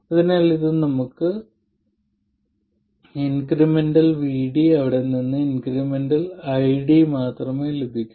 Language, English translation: Malayalam, So we get only the incremental VD from this and the incremental ID from there